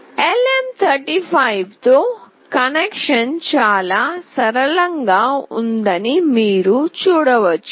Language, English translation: Telugu, You can see that the connection with LM35 is fairly straightforward and fairly simple